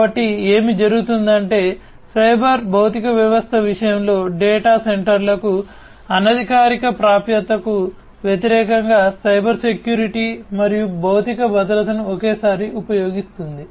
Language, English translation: Telugu, So, what happens is that in the case of a cyber physical system enterprises use Cybersecurity and physical security simultaneously against unofficial access to data centers